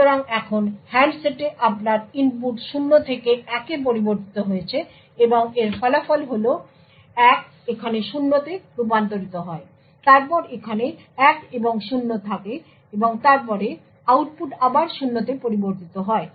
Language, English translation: Bengali, So, now your input to the handset has changed from 0 to 1 and the result of this is that 1 gets converted to 0 then 1 and 0 over here, and then the output changes to 0 again